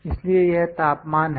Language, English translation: Hindi, So, this is the temperature